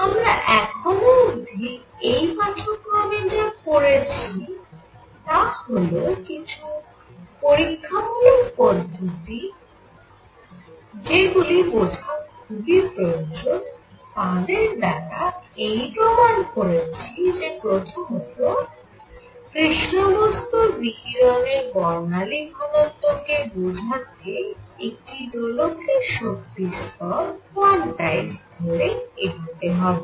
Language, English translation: Bengali, So, what we have done in the lecture so far is that established through experiments and that is very important to understand experiments that number one: black body radiation and that means its spectral density can be explained by taking the energy levels of an oscillator quantized